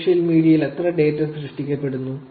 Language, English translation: Malayalam, How much of data is getting generated on social media